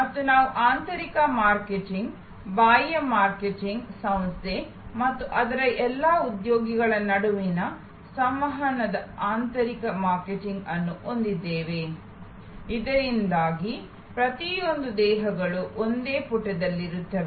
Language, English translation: Kannada, And we will have internal marketing, external marketing, internal marketing of communication between the organization and all it is employees, so that every bodies on the same page